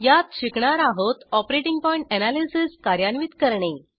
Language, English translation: Marathi, In this tutorial we will learn, To perform operating point analysis